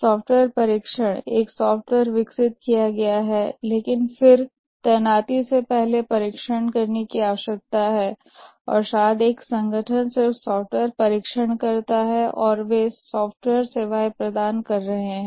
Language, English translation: Hindi, Software has been developed but then before deployment needs to be tested and maybe an organization just does software testing and they are providing software services